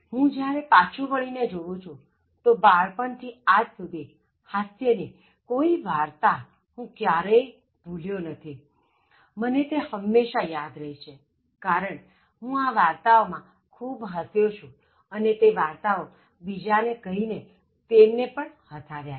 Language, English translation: Gujarati, I have never forgotten any humourous stories, that were told to me from childhood and when I look back, I always remember that, these things I remember because I laughed at these stories and then I told other people also these stories and made them laugh